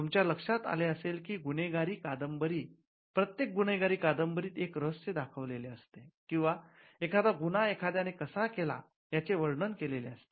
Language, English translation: Marathi, You would have seen that almost every novel in crime could either be a whodunit or how somebody did something